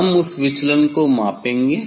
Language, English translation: Hindi, we will measure the that deviation